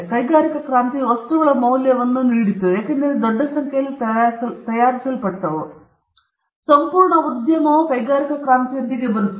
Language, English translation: Kannada, Industrial revolution gave value to things because they were manufactured in large numbers; an entire industry of marketing came with the industrial revolution